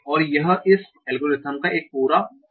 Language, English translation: Hindi, And this is one complete pass of this algorithm